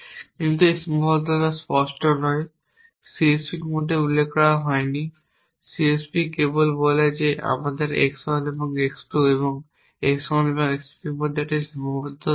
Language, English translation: Bengali, But that constraint is not explicit it has not been mentioned in the CSP the CSP only says that I have a constrain between x 1 and x 2 and between x 1 and x 3